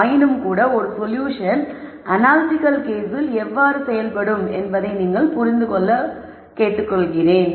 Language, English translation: Tamil, Nonetheless I just want you to understand how the solution works out in an analytical case